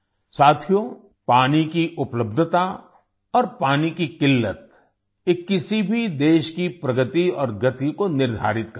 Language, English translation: Hindi, Friends, the availability of water and the scarcity of water, these determine the progress and speed of any country